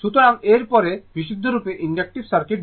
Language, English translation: Bengali, So, next is the purely inductive circuit, purely inductive circuit